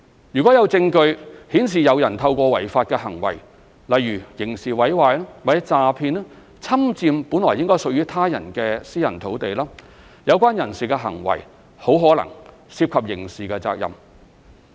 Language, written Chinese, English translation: Cantonese, 如果有證據顯示有人透過違法行為，例如刑事毀壞或詐騙，侵佔本來屬於他人的私人土地，有關人士的行為很可能涉及刑事責任。, If there is evidence showing that one occupies the land of someone else through illegal acts the acts of such persons may likely be criminally liable